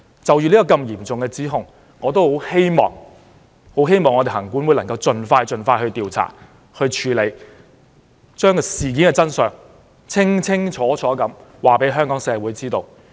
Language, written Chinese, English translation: Cantonese, 就這項如此嚴重的指控，我希望行政管理委員會盡快調查和處理，將事件的真相清楚告訴香港社會。, As regards this serious accusation I hope the Legislative Council Commission will expeditiously conduct an investigation so as to reveal the truth to the Hong Kong public